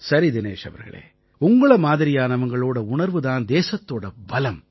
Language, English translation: Tamil, Fine Dinesh ji…your sentiment is the strength of the country